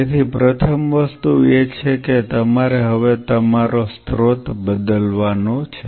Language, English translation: Gujarati, So, the first thing is you have to now your source is going to change